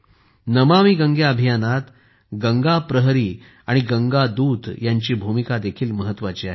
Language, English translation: Marathi, In the 'NamamiGange' campaign, Ganga Praharis and Ganga Doots also have a big role to play